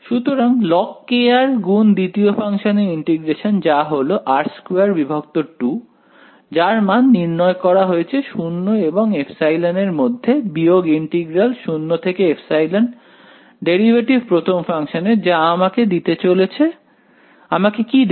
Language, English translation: Bengali, So, log k r multiplied by integral of second function which is r squared by 2 evaluated between 0 and epsilon minus integral 0 to epsilon derivative of the first function right which is going to give me a what is going to give me